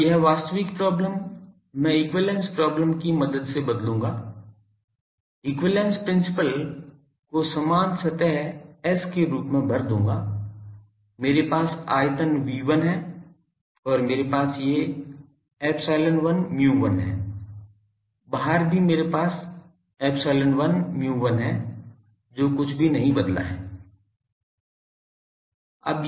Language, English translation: Hindi, Now, this actual problem I will replace with the help of equivalence problem, fill equivalence principle as this same surface S, I have the volume V1, and I have these epsilon 1 mu 1, outside also I have epsilon 1 mu 1 that has not change anything